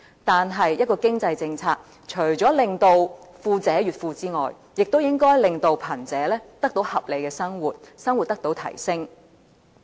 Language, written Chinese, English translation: Cantonese, 但是，一項經濟政策除了令富者越富外，亦應該令貧者得到合理的生活，生活水平得到提升。, But while an economic policy should seek to increase the wealth of the wealthy it should also aim to raise the living standards of the poor so that they can all live a reasonable life